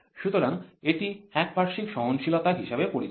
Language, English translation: Bengali, So, it is known as unilateral tolerance